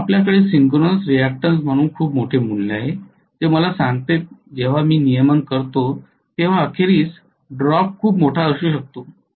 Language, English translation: Marathi, So you are going to have a very large value as synchronous reactance which tells me when I calculate regulation eventually the drop could be pretty large